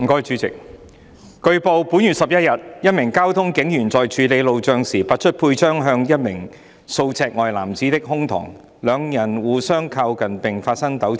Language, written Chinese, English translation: Cantonese, 主席，據報，本月11日，一名交通警員在處理路障時，拔出佩槍指向一名數尺外男子的胸膛，兩人互相靠近並發生糾纏。, President it has been reported that on the 11 of this month a traffic police officer while clearing roadblocks pulled out his service revolver and pointed it at the chest of a man several feet away . The two persons then drew close to each other and got into a scuffle